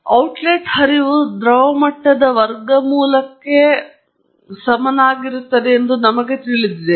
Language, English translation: Kannada, And we know that the outlet flow is linearly proportional to the square root of the liquid level